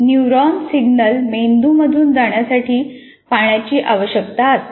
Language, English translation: Marathi, Water is required to move neuronal signals through the brain